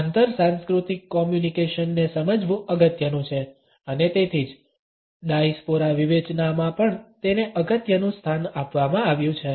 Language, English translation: Gujarati, It is important to understand the inter cultural communication and that is why it is also given an important place now in the Diaspora criticism